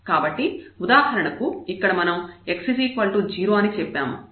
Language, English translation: Telugu, So, for example, we said here we take here x is equal to 0